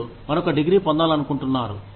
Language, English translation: Telugu, You want to get another degree